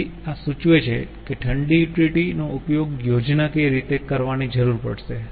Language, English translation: Gujarati, so this shows how much cold utility will need to use schematically